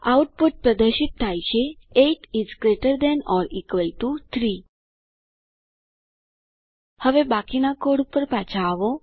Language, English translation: Gujarati, The output is displayed: 8 is greater than or equal to 3 Now Coming back to rest of the code